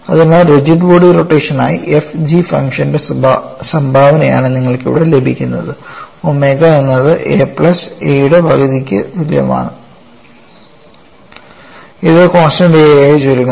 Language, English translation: Malayalam, So, the contribution of function f and g towards rigid body rotation is what you are getting it here, omega equal to one half of A plus A which reduces to a constant A